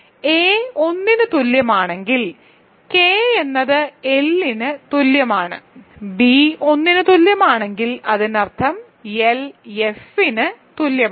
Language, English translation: Malayalam, So, if a is equal to 1, that means, K is equal to L; if b equal to 1; that means, L is equal to F